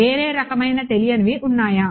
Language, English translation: Telugu, Can they be some other kind of unknown